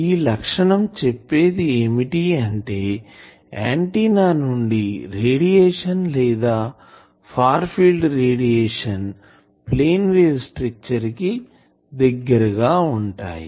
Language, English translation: Telugu, So that means, this criteria says that when really the radiation far field radiation or radiation from the antenna that is approaching the plane wave structure